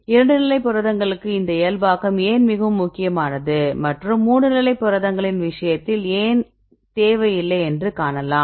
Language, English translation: Tamil, 83 still it is very clear why this normalization is very important for the 2 state proteins and it is not required for the case of the 3 state proteins